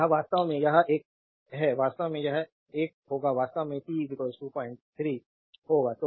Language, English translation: Hindi, So it is actually this one actually will be this one actually will be t is equal to 0